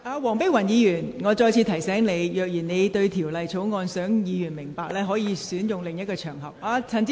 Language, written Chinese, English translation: Cantonese, 黃碧雲議員，我再次提醒你，如你想讓委員明白該條例草案，你可選擇另一場合。, Dr Helena WONG I remind you again that if you want Members to understand the Bill you may choose another occasion